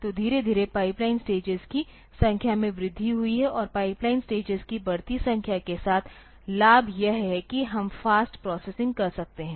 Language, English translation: Hindi, So, slowly the number of pipeline stages have been increased and with the increasing number of pipeline stages the advantage is that we can we can have faster processing